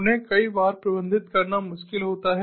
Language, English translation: Hindi, they are difficult to manage